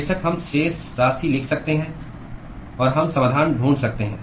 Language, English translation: Hindi, Of course, we can write the balances and we can find the solutions